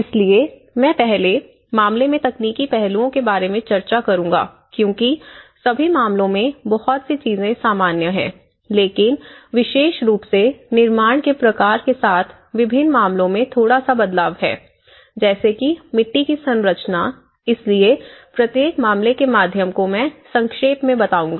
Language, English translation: Hindi, So, I’ll discuss about the technological aspects in the first case and then in because many of the things are common in all the cases but there is a slight variance in different cases especially with the adobe type of construction, so I will just briefly go through each and every case